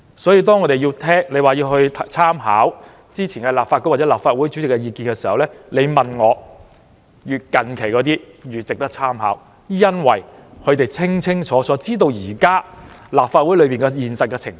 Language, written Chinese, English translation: Cantonese, 所以，如果要參考之前立法局或立法會主席的意見，我認為越近期的，越值得參考，因為他們清楚現時立法會的現實情況。, Therefore if there is need to refer to the opinions of the former Presidents of this Council or the former Council I think the more recent ones will be a more valuable source of reference because they have a clear idea about the actual situation of the present Legislative Council